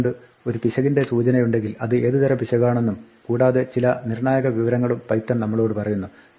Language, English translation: Malayalam, So, python when it flags an error tells us the type of error and some diagnostic information